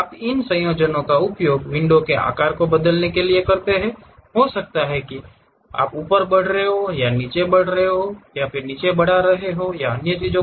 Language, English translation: Hindi, You use these combinations to really change the size of the window, may be moving up, and down increasing, enlarging and other thing